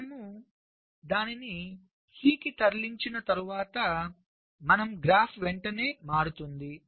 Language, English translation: Telugu, ok, so after you move it to c, your graph immediately changes